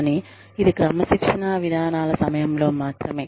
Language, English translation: Telugu, But, it is only during, the disciplinary procedures